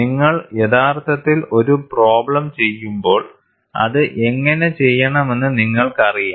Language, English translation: Malayalam, When you actually do a problem, you will know how to do it